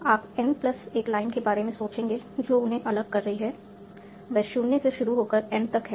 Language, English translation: Hindi, So, you will think about n plus 1 lines that are separating them, starting from 0 to n